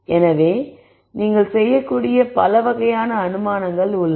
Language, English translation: Tamil, So, there are many types of assumptions that you can make